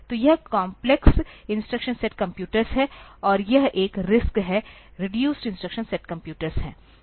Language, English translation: Hindi, So, this is complex instruction set computers, and this one is the, RISC is the reduced instruction set computer